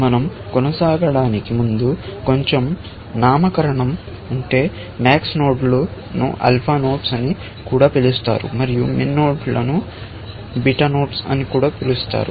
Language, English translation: Telugu, A little bit of nomenclature, before we continue; max nodes are also called alpha nodes, and min nodes are also called beta nodes